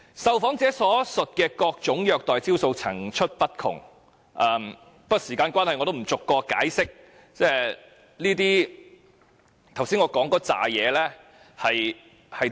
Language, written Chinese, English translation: Cantonese, 受訪者所述的各種虐待招數層出不窮，不過由於時間關係，我也不逐一解釋我剛才提及的體罰招數是甚麼。, The interviewees had listed many different ways of corporal punishment yet I will not illustrate them one by one owing to the limit of time . Moreover many previous prisoners referred by various different organizations all claimed coincidentally that they had suffered torture